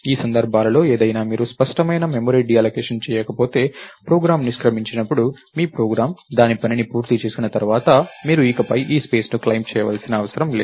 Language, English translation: Telugu, So, in any of these cases right if you don't do explicit memory deallocation, when the program exits, your program is done with its work, you don't need to claim this space anymore